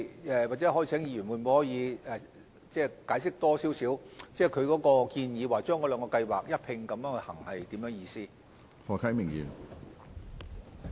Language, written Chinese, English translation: Cantonese, 就此，也許可否請議員再解釋，建議把兩項計劃一併推行是甚麼意思呢？, Will the Honourable Member please explain further what he means by implementing the two schemes in parallel?